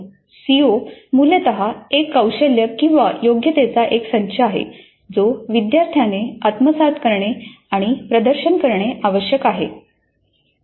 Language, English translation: Marathi, CO is essentially a competency or a set of competencies that a student is supposed to acquire and demonstrate